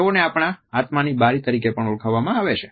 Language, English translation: Gujarati, They have been termed as a windows to our souls